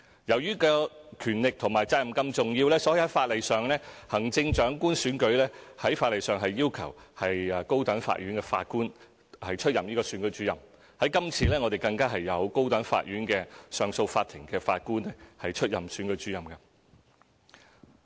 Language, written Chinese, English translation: Cantonese, 由於權力和責任是這樣重要，所以在法例上，行政長官選舉要求高等法院法官出任選舉主任，今次更有高等法院上訴法庭的法官出任選舉主任。, Since the power and duty of RO are so important it is required by law that the post of RO of the Chief Executive Election shall be filled by a High Court judge . In the upcoming Election a judge of the Court of Appeal of the High Court will assume the post of RO